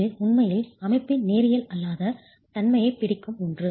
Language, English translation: Tamil, And this is something that actually captures the non linearity of the system itself